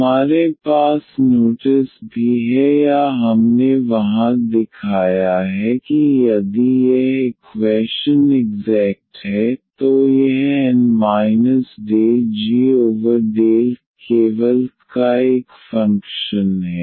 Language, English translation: Hindi, We have also notice or we have shown there that if this equation is exact then this N minus del g over del y is a function of y only